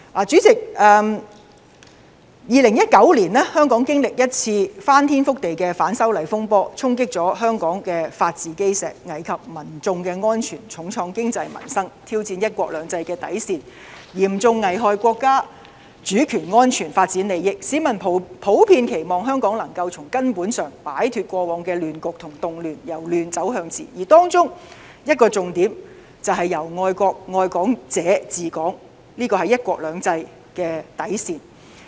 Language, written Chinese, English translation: Cantonese, 主席，在2019年，香港經歷一次翻天覆地的反修例風波，衝擊香港的法治基石，危及民眾的安全，重創經濟和民生，挑戰"一國兩制"的底線，嚴重危害國家主權安全和發展利益，市民普遍期望香港能夠從根本擺脫過往的亂局和動亂，由亂走向治；而當中一個重點便是由愛國愛港者治港，這是"一國兩制"的底線。, President in 2019 Hong Kong encountered an unprecedented anti - extradition law saga which shook the cornerstone of Hong Kongs rule of law endangered the safety of the public devastated Hong Kongs economy and peoples livelihood challenged the bottom line of the one country two systems framework and seriously threatened our national sovereignty and its development interests . The public generally hope that Hong Kong can fundamentally get rid of the chaos and riots and to bring chaos into order . One of the key points is that Hong Kong should be ruled by those who love both the country and Hong Kong this is the bottom line of the one country two systems principle